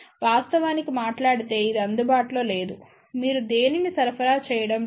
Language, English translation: Telugu, Eventhough actually speaking it is not available, you are not supplying anything